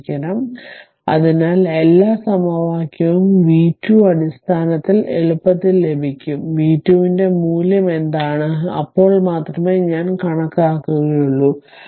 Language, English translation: Malayalam, So, everything equation you will get in terms of v 2 such that you will easily get what is the value of v 2, then only we will compute I s c